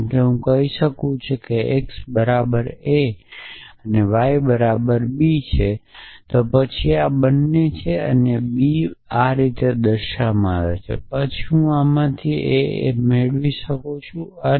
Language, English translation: Gujarati, So, because I am saying x equal to a and y is equal to b then this becomes a this becomes b and I get this essentially then from this